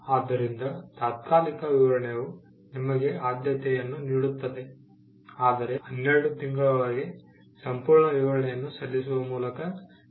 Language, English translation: Kannada, So, the provisional specification will get you the priority, but provided you follow it up by filing a complete specification within 12 months